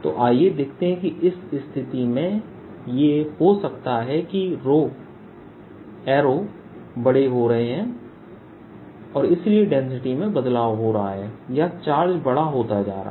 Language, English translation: Hindi, so let's see that d is maybe arrows are getting bigger, or arrows, so density varies, or the charges are becoming bigger